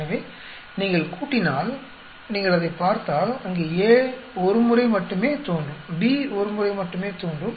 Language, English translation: Tamil, So if you add if you look at it there A will appear only once, B will appear only once